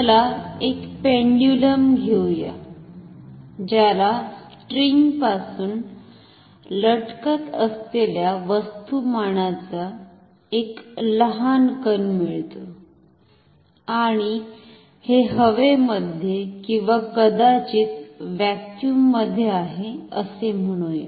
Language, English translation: Marathi, Let us take a pendulum, a small blob of mass hanging from string and say this is in air or maybe in vacuum even better